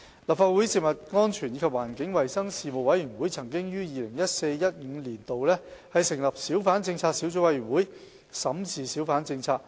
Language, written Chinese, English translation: Cantonese, 立法會食物安全及環境衞生事務委員會曾於 2014-2015 年度成立小販政策小組委員會審視小販政策。, The Subcommittee on Hawker Policy under the Legislative Council Panel on Food Safety and Environmental Hygiene was established in 2014 - 2015 to review hawker policy